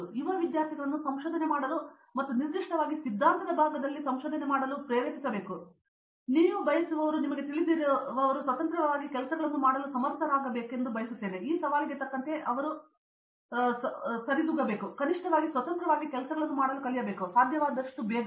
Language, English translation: Kannada, So, people who you know young students who wish to come to research and particularly in the theory side they should be dealing to you know get up to this challenge that they should be able to do things independently, should learn at least to do things independently as soon as they can